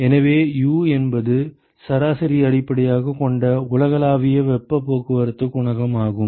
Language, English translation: Tamil, So, U is the universal heat transport coefficient which is based on averages